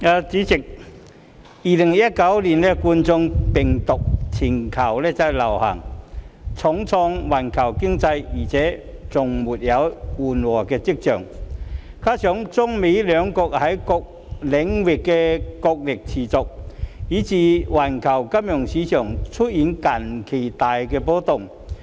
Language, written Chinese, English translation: Cantonese, 代理主席 ，2019 冠狀病毒病全球大流行重創環球經濟而且未有緩和跡象，加上中美兩國在各領域的角力持續，以致環球金融市場近期大幅波動。, Deputy President with the Coronavirus Disease 2019 pandemic having dealt a heavy blow to the global economy and showing no signs of abating coupled with the continued wrestling between China and the United States US in various aspects financial markets around the world have been very volatile recently